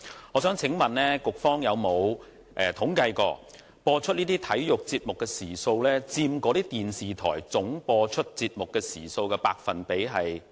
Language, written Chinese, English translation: Cantonese, 我想問局方有否統計過，這些體育節目的播放時數佔那些電視台節目播放總時數的百分比為何？, Can I ask whether the Bureau has ever compiled any statistics on the proportion of such sports programmes in these television broadcasters total numbers of broadcasting hours?